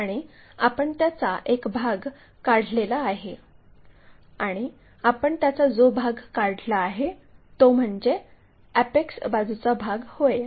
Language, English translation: Marathi, And, one part we have removed and the part what we have removed is apex side of the part